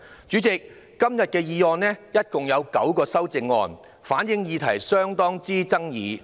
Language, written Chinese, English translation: Cantonese, 主席，今天的議案共有9項修正案，反映議題甚具爭議。, President there are a total of nine amendments to the motion today reflecting the great controversy of the issue